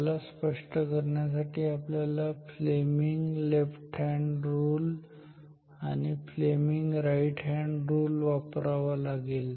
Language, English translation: Marathi, To get the explanation we have to apply Fleming’s left hand and right hand rules